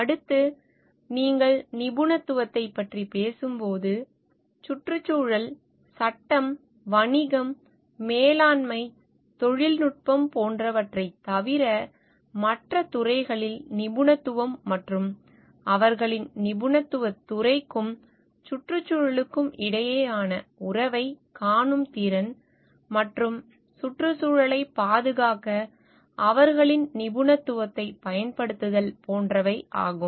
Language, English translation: Tamil, Next when you talk of expertise, it is a expertise in areas other than environment, law, business, management, technology, etcetera and ability to see a relationship between their field of expertise and the environment and leverage their expertise to conserve the environment and like at a higher level is the leadership